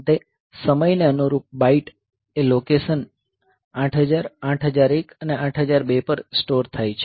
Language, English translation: Gujarati, Finally the bytes corresponding to the time are stored at location 8000, 8001 and 8002